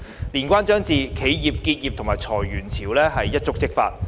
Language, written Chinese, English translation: Cantonese, 年關將至，企業結業及裁員潮可能一觸即發。, With the Lunar New Year approaching waves of businesses closing down and layoffs may spark off anytime